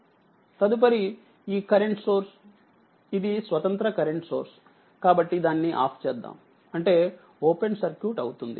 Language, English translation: Telugu, Next this current source, it is independent current source; So, turned it off, but means it will be open circuit right